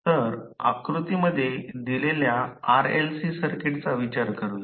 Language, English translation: Marathi, So, let us consider the RLC circuit which is given in the figure